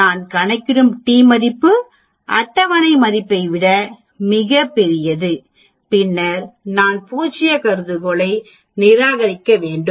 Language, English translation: Tamil, The t value which I calculate is much large than the table value, then I need to reject null hypothesis